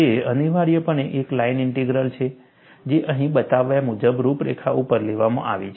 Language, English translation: Gujarati, It is essentially a line integral, taken over the contour, as shown here